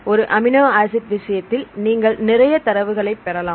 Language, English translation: Tamil, In single amino acid case, you will get more number of data